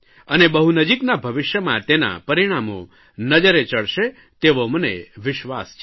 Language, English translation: Gujarati, I believe that the results of this move are going to be seen in the near future